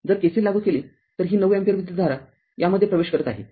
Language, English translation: Marathi, If you apply KCL so, this 9 ampere current is entering into this